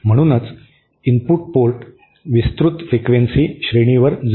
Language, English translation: Marathi, Hence the input port remains matched over a wide frequency range